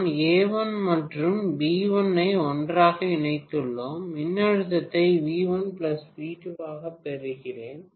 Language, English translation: Tamil, Now if I connect this is A, and A1 and along with A1, I am going to connect V1 and V, right